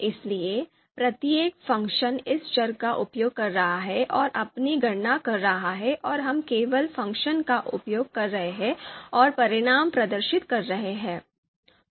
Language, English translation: Hindi, So therefore you know each function is using this variable and doing its own computation and we are just using the function and displaying the you know results